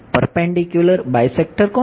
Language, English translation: Gujarati, perpendicular bisector of